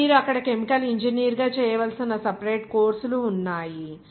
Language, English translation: Telugu, And there are separate courses that you have to do as a chemical engineering there